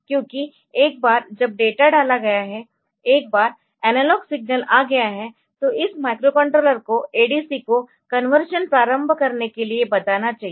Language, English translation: Hindi, Because once the data has been put on to the once the analog signal has come so, this microcontroller should tell the ADC to start doing the conversion